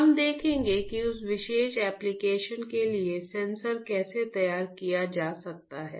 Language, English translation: Hindi, We will see how the sensors for that particular application can be fabricated we will see in this class